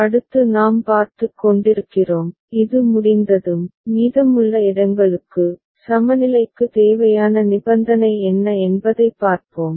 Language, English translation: Tamil, Next is we are looking at, once this is done, for the remaining places, we look at what are the necessary condition for equivalence ok